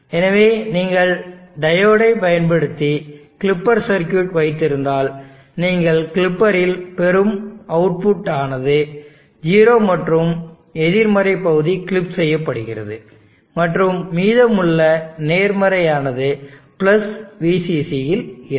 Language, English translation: Tamil, So if you clipper circuit using diodes you will get at the output of the clipper 0 gets clipped the negative portion gets clipped, and the positive remains at + VCC